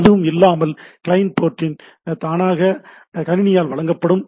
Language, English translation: Tamil, Port of the client is automatically provided by the system if there is no thing